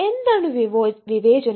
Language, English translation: Malayalam, what is discrimination